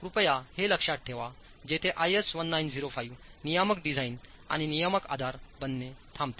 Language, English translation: Marathi, So please keep this clearly in mind where IS 1905 stops becoming regulatory design and regulatory basis